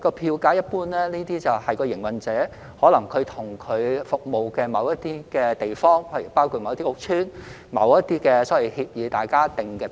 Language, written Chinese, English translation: Cantonese, 票價一般由營辦商與其服務的某些地方，包括某些屋邨，或基於某些協議而訂定的。, Fares are generally determined by the operators and the places they serve including certain housing estates or based on certain agreements